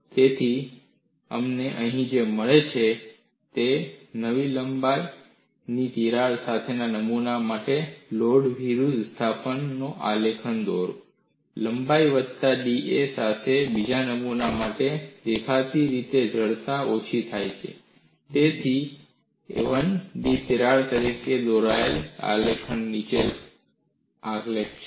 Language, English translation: Gujarati, So, what you find here is, you draw the graph between load versus displacement for a specimen with crack of length a, for another specific length with a crack of length a plus da; obviously the stiffness as reduced; so the graph is below the graph drawn for crack length of a